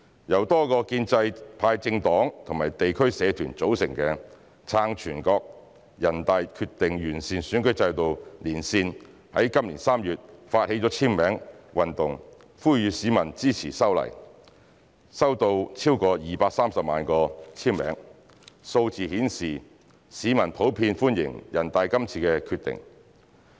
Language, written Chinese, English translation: Cantonese, 由多個建制派政黨及地區社團組成的"撐全國人大決定完善選舉制度連線"在今年3月發起簽名運動呼籲市民支持修例，收到超過230萬個簽名，數字顯示市民普遍歡迎全國人大的《決定》。, An alliance in support of NPCs Decision on improving the electoral system formed by various pro - establishment parties and community groups launched a signature campaign in March this year to rally public support of the legislative amendment . The more than 2.3 million signatures so collected showed that NPCs Decision is welcomed by the general public